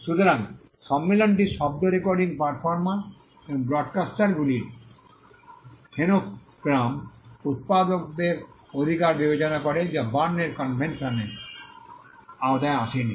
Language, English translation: Bengali, So, this convention considered the rights of phonogram producers of sound recordings performers and broadcasters which was not covered by the Berne convention